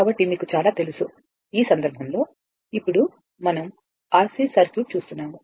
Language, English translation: Telugu, So, so many you know, in this case, now we are seeing that your RC circuit